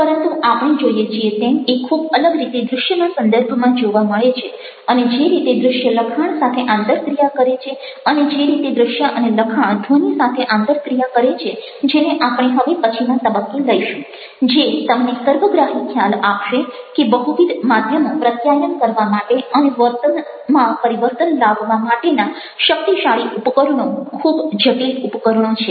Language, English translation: Gujarati, but we find that this is something which is very distinctively to be found in the context of visuals and the way that visuals interact with texts and the way that visuals and texts interact with sounds, which will be taking up at a later point of time, which will give you a holistic idea of how multimedia manages to be a much more powerful to very complex tool for communicating as well as changing behavior